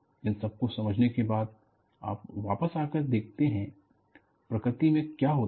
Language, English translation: Hindi, After understanding, always, you come back and see, what happens in nature